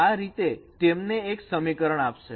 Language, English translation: Gujarati, So you will be using this equation